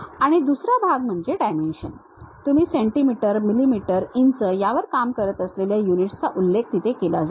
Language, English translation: Marathi, And the second part is the dimension, the units whether you are working on centimeters, millimeters, inches that kind of units will be mentioned there